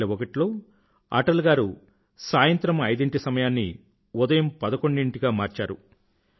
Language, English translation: Telugu, In the year 2001, Atalji changed the time of presenting the budget from 5 pm to 11 am